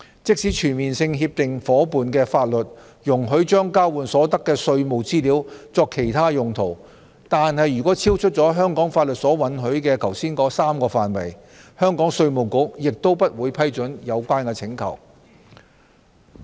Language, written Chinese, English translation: Cantonese, 即使全面性協定夥伴的法律容許將交換所得的稅務資料作其他用途，但如果超出了香港法律所允許、剛才提及的3個範圍，香港稅務局也不會批准有關請求。, Even if the laws of a Comprehensive Agreement partner allow the use of the tax information exchanged for other purposes but if the usage falls outside the scope of the three areas permitted by the laws of Hong Kong that we have just mentioned IRD of Hong Kong will not accede to such requests